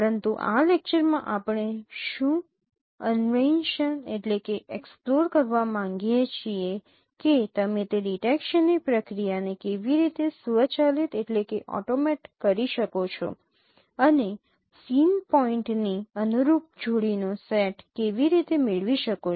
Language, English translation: Gujarati, But in this lecture what we would like to explore that now how do you automate that process of detection and getting the set of corresponding pairs of scene points